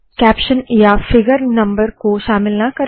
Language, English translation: Hindi, Do not include caption, figure number etc